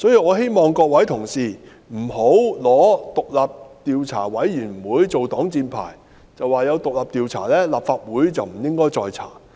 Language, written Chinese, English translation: Cantonese, 我希望各位同事不要以獨立調查委員會作擋箭牌，表示既然已有獨立調查，立法會便不應再進行調查。, I hope Honourable colleagues will not use the Commission as an excuse saying that the Legislative Council should not conduct an investigation because an independent inquiry is under way